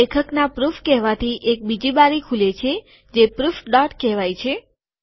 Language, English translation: Gujarati, He says proof, it opens another window, calls it proof dot